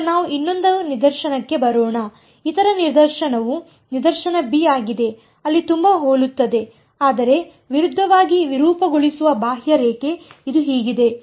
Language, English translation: Kannada, Now let us come to the other case; the other case is case b where I have a very similar, but a oppositely deform contour this is how it is